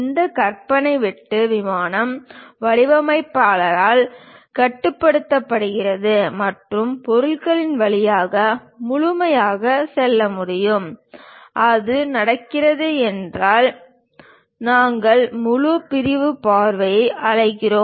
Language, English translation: Tamil, This imaginary cut plane is controlled by the designer and can go completely through the object; if that is happening, we call full sectional view